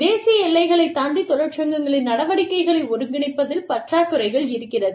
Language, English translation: Tamil, A lack of co ordination of activities by unions, across national boundaries